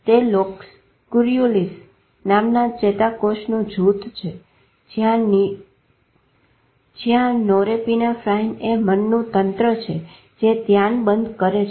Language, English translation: Gujarati, That this group of neurons called locust serulius where norapinephrine is a system of mind which gaites attention